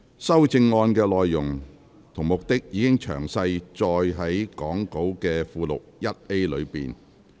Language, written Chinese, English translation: Cantonese, 修正案的內容及目的，已詳載於講稿附錄 1A 的列表。, The contents and objectives of the amendments are set out in the table in Appendix 1A to the Script